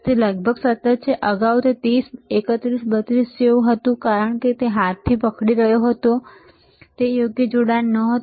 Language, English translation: Gujarati, It is almost constant, earlier it was like 31, 32 because it he was holding with hand, the connection was were not proper